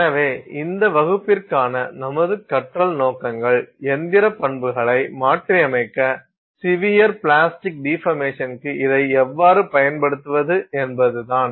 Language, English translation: Tamil, So, our learning objectives for this class are how we would go about using this for modifying mechanical properties, the severe plastic deformation